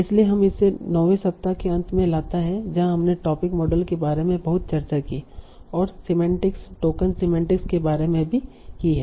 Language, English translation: Hindi, So that brings us to the end of this ninth week where we discussed a lot about topic models and also about semantics, talk on semantics